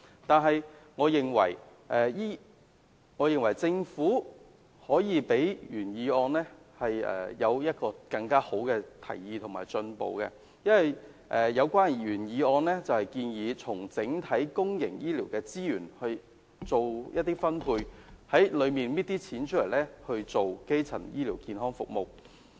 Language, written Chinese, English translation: Cantonese, 但是，我認為政府可以做得比原議案的提議更好及更進步，因為原議案建議從整體公營醫療資源作出一些分配，從中取一些金錢來推行基層醫療健康服務。, Nevertheless I consider that the Government can make further efforts and perform better than the initiatives proposed in the original motion because it was proposed in the original motion that the Government should use part of the overall resources to purchase health care services in the course of the implementation of primary health care services